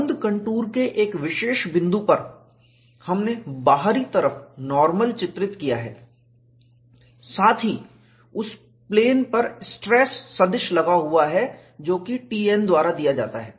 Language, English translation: Hindi, On the closed contour, at a particular point, we have depicted the outward normal and also the stress vector acting on that plane, which is given as T n